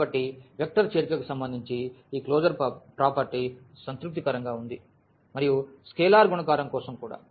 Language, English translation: Telugu, So, this closure property with respect to vector addition is satisfied and also for the scalar multiplication